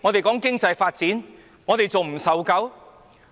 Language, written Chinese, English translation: Cantonese, 談經濟發展，我們還未受夠嗎？, Given all that talk about economic development have we not had enough of all this?